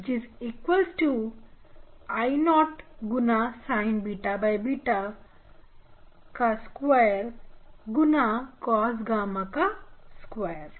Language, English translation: Hindi, your intensity will be E p E p star equal to I 0 sin square beta by beta square cos square gamma